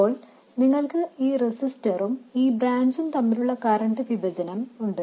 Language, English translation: Malayalam, Then you have this current division between this resistor and this branch